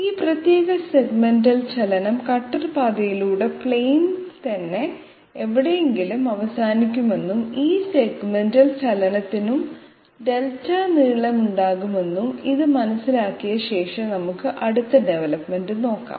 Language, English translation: Malayalam, That this particular segmental movement will end up somewhere on the plane itself along the cutter path and this segmental motion will also have a length of Delta, having understood this let us see the next development